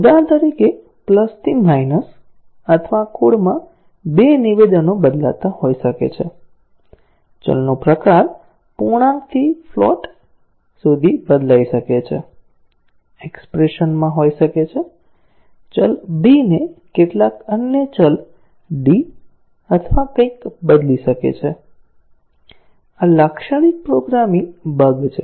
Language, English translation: Gujarati, For example, plus to minus or may be interchanging 2 statements in the code, may be changing the type of a variable from int to float, may be in expression, changing a variable b into some other variable d or something; these are typical programming errors